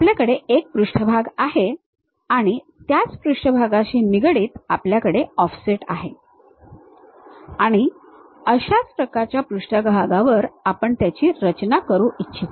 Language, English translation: Marathi, You have one surface with respect to that one surface with an offset, similar kind of surface we would like to construct it